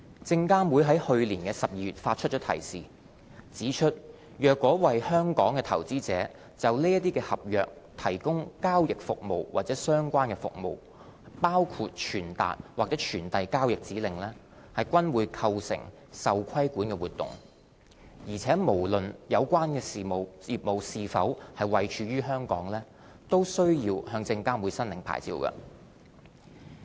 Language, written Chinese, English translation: Cantonese, 證監會在去年12月發出提示，指出若為香港投資者就這些合約提供交易服務及相關服務，包括傳達或傳遞交易指令，均構成受規管活動，且無論有關業務是否位處香港，均須向證監會申領牌照。, SFC issued a reminder in December 2017 that dealing in such contracts for investors in Hong Kong and engaging in related services including relaying or routing orders constituted regulated activities and required a licence from SFC regardless of whether the business was located in Hong Kong